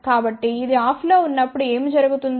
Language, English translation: Telugu, So, when this is off so what will happen